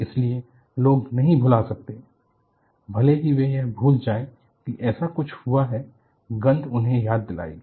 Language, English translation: Hindi, So, people cannot, even if they want to forget that such a thing happened, a smell will remind them